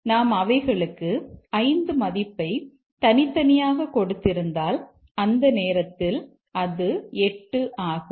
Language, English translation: Tamil, But if we have given them separately a value of 5 and at that time it is 8 and this is given 6 and this is 7